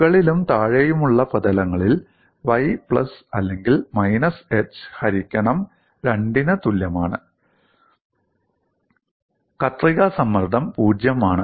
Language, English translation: Malayalam, And we also have on the top and bottom surfaces that is y equal to plus or minus h by 2, the shear stress is 0